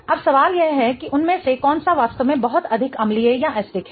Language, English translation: Hindi, Now, the question is which one amongst them is really much more acidic, right